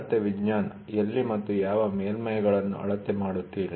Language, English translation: Kannada, A science of measurement where and which you try to measure surfaces